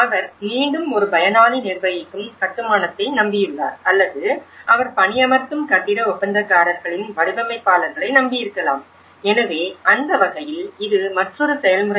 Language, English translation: Tamil, And he again relies on the either a beneficiary managed construction or it could be he relies on the designers of the building contractors who hire, so in that way, that is another process